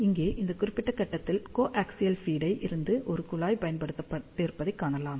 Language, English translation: Tamil, So, here you can see a tap has been used from the coaxial feed at this particular point